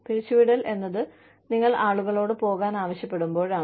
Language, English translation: Malayalam, Layoffs are, when you ask people, to leave